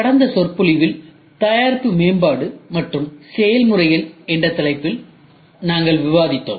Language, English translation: Tamil, In the last lecture, we were discussing on the topic of Product Development and Processes